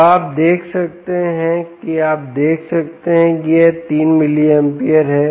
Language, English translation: Hindi, so, ah, you have see, you can see that this is three milliamperes